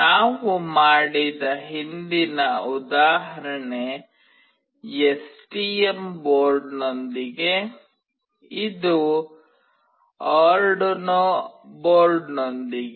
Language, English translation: Kannada, The previous example that we did is with STM board, this is with Arduino board